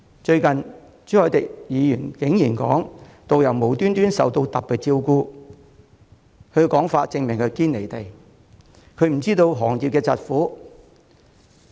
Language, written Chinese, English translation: Cantonese, 最近朱凱廸議員竟然說導遊無故受到特別照顧，他的說法證明他"堅離地"，不知道行業的疾苦。, Recently Mr CHU Hoi - dick has gone so far as to say that tourist guides have received unwarranted special treatment from the Government . His remark proves that he is entirely detached from reality knowing nothing about the hardship faced by the industry